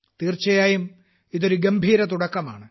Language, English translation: Malayalam, This is certainly a great start